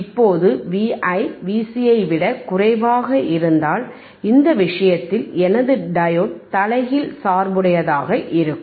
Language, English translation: Tamil, Now, what if V iVi is less than V cVc, V i is less than V c in this case in this case my diode will be reverse bias right